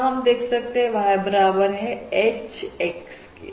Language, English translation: Hindi, now here we are saying we have Y equals H, X